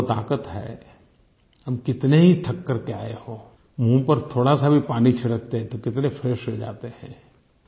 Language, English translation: Hindi, Water has this power, no matter how tired one is, just a bit of water splashed on the face makes one feel so refreshed